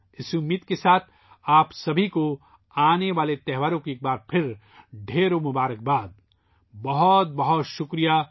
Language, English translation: Urdu, With this wish, once again many felicitations to all of you for the upcoming festivals